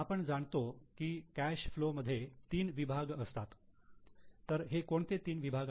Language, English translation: Marathi, We know that there are three sections in cash flow